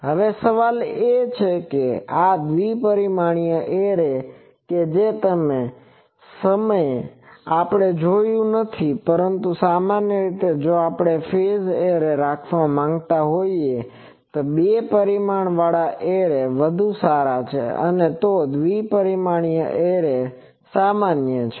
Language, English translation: Gujarati, Now, the question is that this is two dimensional array that that time we have not covered, but in general, two dimensional arrays are common, if we want to have a phased array better to have a two dimensional array